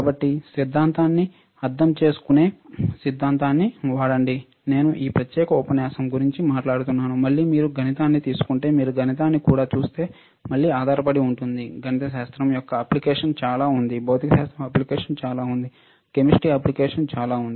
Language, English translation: Telugu, So, use theory understand theory, I am talking about this particular lecture, again, right it depends on if you if you take a mathematics, right, again if you see mathematics also there is a lot of application of mathematics lot of application of physics lot of application of chemistry, right